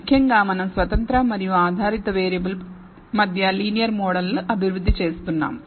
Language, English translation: Telugu, Particularly we were developing a linear model between the independent and dependent variable